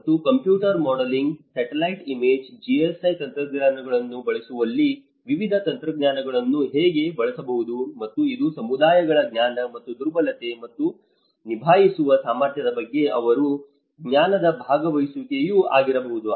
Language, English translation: Kannada, And how different techniques could be used in using computer modelling, satellite image GIS techniques, and it could be also the participatory the communities knowledge and how their knowledge on the vulnerability and the ability to cope